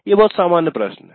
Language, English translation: Hindi, These are very general questions